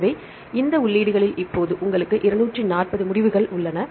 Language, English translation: Tamil, So, these are the entries now you have 240 results